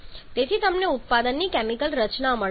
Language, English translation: Gujarati, So, you have got the chemical composition of the product